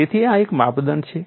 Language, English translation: Gujarati, So, this is one of the criterions